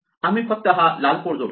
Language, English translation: Marathi, So, we just add this red code